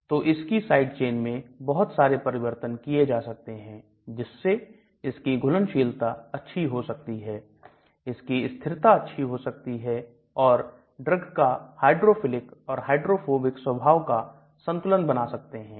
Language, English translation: Hindi, So there are lot of modifications to the side chain to improve its solubility, may be improve its stability, to balance the hydrophilic and hydrophobic nature of the drug